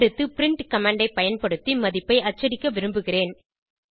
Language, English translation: Tamil, Next I want to print the value using print command